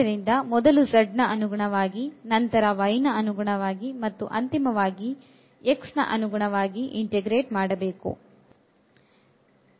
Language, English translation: Kannada, So, first with respect to z, then with respect to y and at the end with respect to x